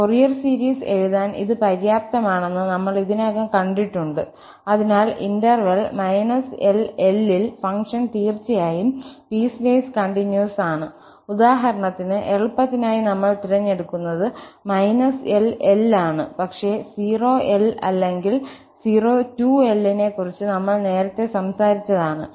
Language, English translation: Malayalam, We have already seen that this is sufficient condition to write the Fourier series, so the function must be piecewise continuous in the interval minus L to L for instance, just for simplicity we choose minus L to L but we can also talk about 0 to L or 0 to 2L whatever